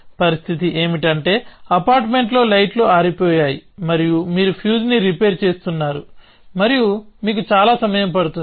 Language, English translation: Telugu, So, the situation is that lights have gone out in the apartment and you are repairing the fuse and it takes you that much time